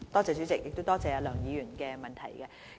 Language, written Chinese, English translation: Cantonese, 主席，多謝梁議員的補充質詢。, President I thank Dr LEUNG for her supplementary question